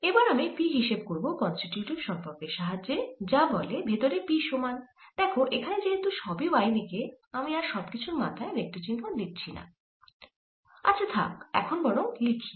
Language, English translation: Bengali, now i can find p using the constitutive relationship which says that p inside, since everything is in y direction, i'll not bother to write the vector sign on top, or lets write it for the time being